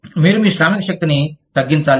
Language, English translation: Telugu, You need to reduce, your workforce